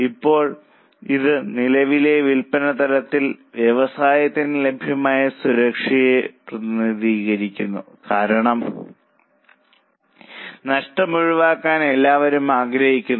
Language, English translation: Malayalam, Now this represents the safety available to business at current level of sales because everybody wants to avoid losses